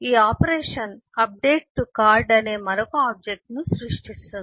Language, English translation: Telugu, the operation creates another object update to card